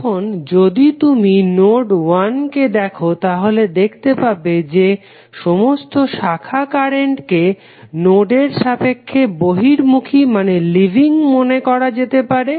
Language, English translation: Bengali, Now, if you see node 1 you can see you can assume that all branch current which are leaving the node you will assume that all branch currents are leaving the node